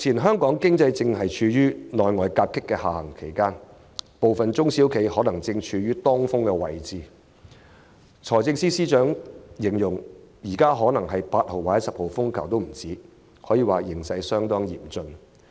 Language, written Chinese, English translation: Cantonese, 香港經濟正處於內外夾擊的下行期，部分中小企可能正處於當風位置，財政司司長就形容，這場風暴恐怕比8號或10號風球更猛烈，形勢相當嚴峻。, Hong Kong economy is now in the middle of a downturn subjected to internal and external challenges . Some SMEs may find themselves caught in the direct path of the storm . The Financial Secretary has warned about the severity of the situation likening it to a crisis more ferocious than a Signal No